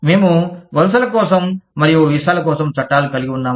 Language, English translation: Telugu, We could have, laws for immigration and visas